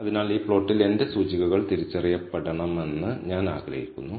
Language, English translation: Malayalam, So, on this plot I want my indices to be identified